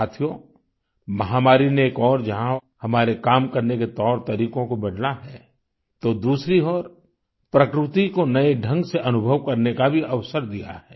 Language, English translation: Hindi, Friends, the pandemic has on the one hand changed our ways of working; on the other it has provided us with an opportunity to experience nature in a new manner